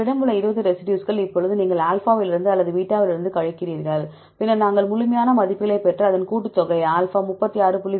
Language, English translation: Tamil, 20 residues you have the composition now you subtract these from either alpha or from beta, then we have to get absolute values and take that the summation, you will get the values alpha is 36